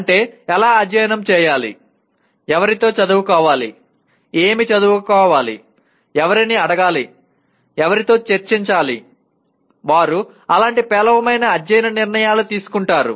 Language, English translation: Telugu, That means how to study, with whom to study, what to study, whom to ask, with whom to discuss, they make poor study decisions like that